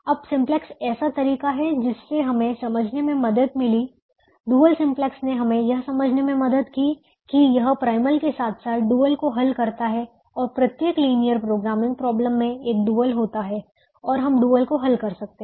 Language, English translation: Hindi, simplex helped us understand that it is solving a primal as well as a dual and every linear linear programming problem has a dual and we can solve the dual